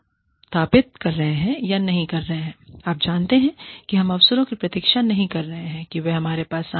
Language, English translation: Hindi, We are not, you know, we are not waiting for opportunities, to come to us